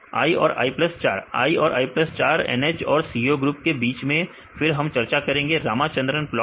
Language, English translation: Hindi, i and i plus 4 between the NH and CO groups right then we will discuss Ramachandran plot